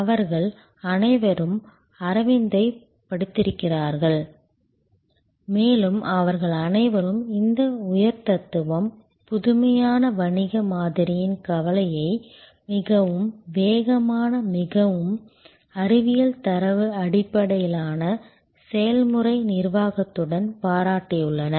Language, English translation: Tamil, They have all studied Aravind and they have all admired this combination of high philosophy, innovative business model with very prudent, very scientific data based process management